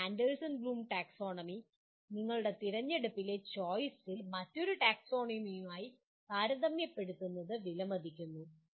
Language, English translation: Malayalam, But to appreciate that compare Anderson Bloom Taxonomy with another taxonomy of your selection/choice